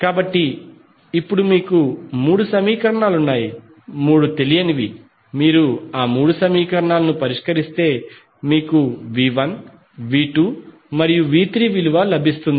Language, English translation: Telugu, So, now you have three equations, three unknown if you solve all those three equations you will get the simply the value of V 1, V 2 and V 3